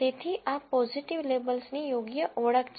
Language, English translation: Gujarati, So, this is correct identification of positive labels